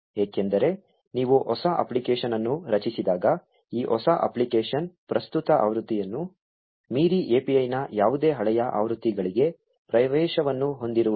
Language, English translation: Kannada, This is because when you create a new app, this new app does not have access to any older versions of the API beyond the current version